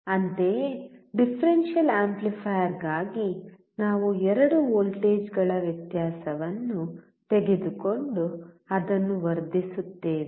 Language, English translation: Kannada, Similarly, for differential amplifier, we take the difference of the two voltages and then amplify it